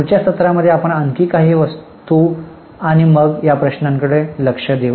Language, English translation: Marathi, In the next session we will take a few more items and then we will start looking at the problems